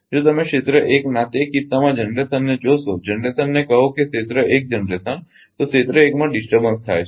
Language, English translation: Gujarati, If you see the generation in that case of area 1 generation say area 1 generation , so, disturbance has occur in area 1